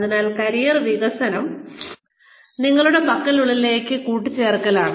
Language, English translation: Malayalam, So, career development is, adding on, to whatever you have